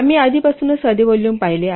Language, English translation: Marathi, We have already seen simple volume